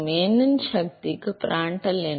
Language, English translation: Tamil, Prandtl numbers to the power of n